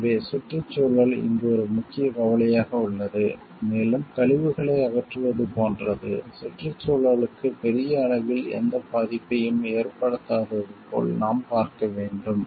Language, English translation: Tamil, So, environment is a major concern over here and, we need to see like we are like disposal of the wastes are done in such a way, like it is not going to cause any harm to the environment at large